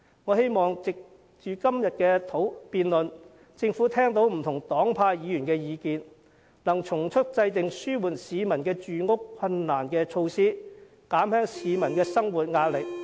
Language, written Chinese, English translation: Cantonese, 我希望藉着今天的辯論，政府聽到不同黨派議員的意見，能從速制訂紓緩市民住屋困難的措施，減輕市民的生活壓力。, I hope that through todays debate the Government will listen to the views of Members of different political parties and affiliations and expeditiously formulate measures to alleviate peoples housing difficulties so as to alleviate their livelihood pressure